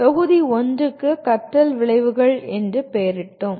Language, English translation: Tamil, Module 1 is, we titled it as “Learning Outcomes”